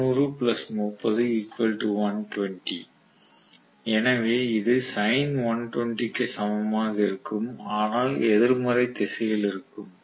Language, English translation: Tamil, So 90 plus 30, 120 so it will be equivalent to sin of 120 but in the negative direction, in the negative direction